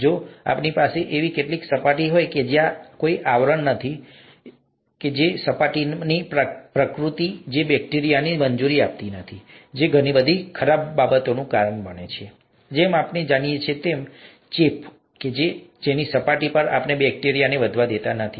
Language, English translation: Gujarati, If we have some such surface, there is no coating, nothing like that, it's just the nature of the surface, that does not allow bacteria which causes a lot of bad things as we know, infections, that does not allow bacteria to grow on it's surface